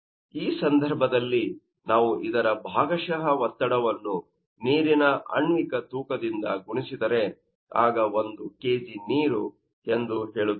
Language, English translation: Kannada, So, in this case if we multiply this partial pressure by it is you know, the molecular weight of water, then you will see that it will be asked is kg of water